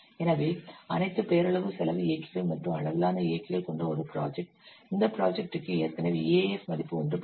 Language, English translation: Tamil, So a project with all nominal cost drivers and scale drivers for this project, it is already calculated, EF value is 1